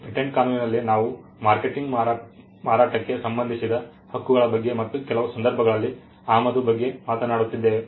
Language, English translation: Kannada, In patent law we are talking about rights relating to manufacture marketing sale and in some cases importation